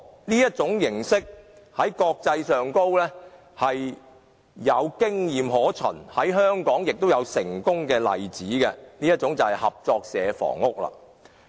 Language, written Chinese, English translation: Cantonese, 這種形式在國際上有經驗可循，在香港也有成功的例子，那便是合作社房屋。, This kind of housing can be found in the international community and there are also successful examples in Hong Kong . I am talking about cooperative housing